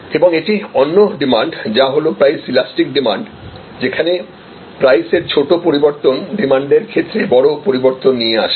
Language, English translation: Bengali, , which is demand is price elastic, small changes in prices lead to big changes in demand